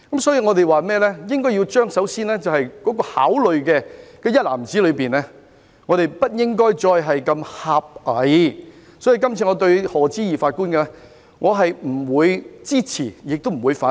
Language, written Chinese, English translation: Cantonese, 因此，我們首先在考慮的一籃子內，不應如此狹隘，所以這次我對賀知義法官的任命既不會支持，亦不會反對。, For this reason we need to first consider a basket of factors and refrain from adopting a parochial perspective . I therefore neither support nor oppose the appointment of Lord Patrick HODGE